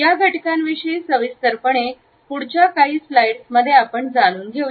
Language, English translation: Marathi, These aspects we would take up in detail in the next few slides